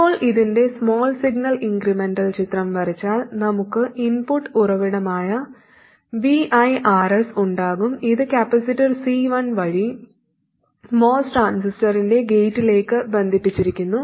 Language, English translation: Malayalam, Now if I draw the small signal incremental picture of this, we will have the input source VI, RS, and it's connected through capacitor C1 to the gate of the most transistor